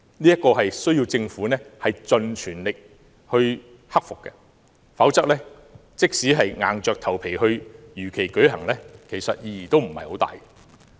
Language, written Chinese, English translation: Cantonese, 這需要政府盡全力克服，否則，即使硬着頭皮如期舉行，其實意義不大。, To conquer these difficulties require the all - out efforts of the Government; if not it is actually quite meaningless to press ahead with the election as scheduled